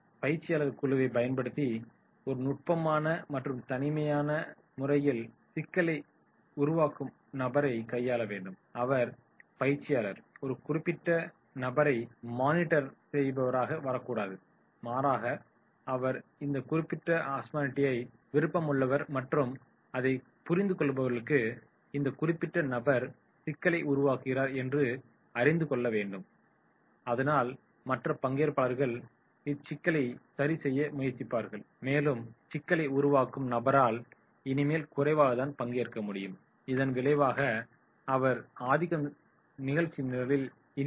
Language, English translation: Tamil, Trainer should handle them in a subtle and discrete manner using the group for therefore trainer should not come like as a monitor, rather than he has to involve the group in solving this particular problem so therefore those who are the learners and those who understand that is this particular person is creating problem, they should be able to be more active more participate and this person will be less participate as a result of which he will be dominated